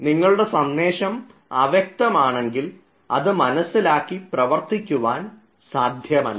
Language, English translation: Malayalam, if your messages are ambiguous, no action can be taken further